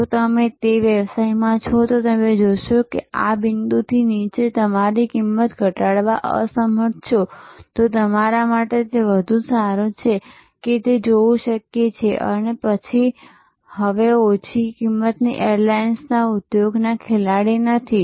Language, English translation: Gujarati, If you are in that business and you see that you are unable to reduce your cost below this point, then it is better for you to see that may be then you are no longer a player in the low cost airlines industry